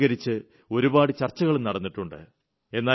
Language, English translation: Malayalam, Many discussions have been held on it